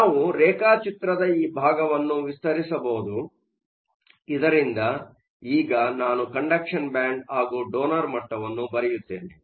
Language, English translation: Kannada, We can expand this portion of the diagram, so that now I will draw the condition band, draw my donor level